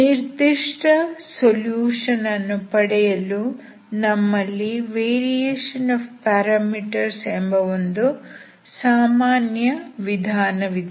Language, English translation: Kannada, To find the particular solution we have a general method called method of variation of parameters